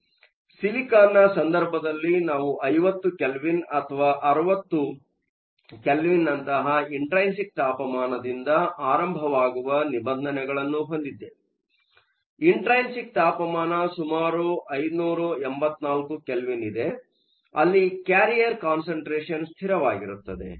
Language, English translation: Kannada, So, in the case of silicon, we have a regime starting from the saturation temperature which is around 50 Kelvin or 60 Kelvin; to an intrinsic temperature, there is around 584 Kelvin, where the carrier’s concentration is essentially a constant